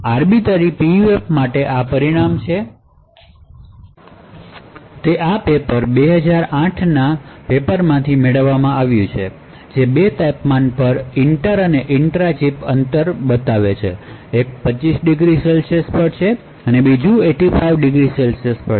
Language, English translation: Gujarati, So, this is a result for an Arbiter PUF, it is obtained from this particular paper 2008 paper which shows both the inter and the intra chip distances at two temperatures; one is at 25 degrees and the other one is at 85 degrees ok